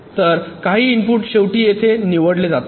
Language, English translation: Marathi, so some inputs are finally selected here